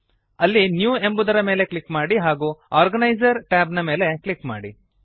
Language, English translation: Kannada, Click on the New option and then click on the Organiser tab